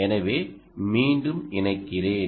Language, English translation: Tamil, so let me connect back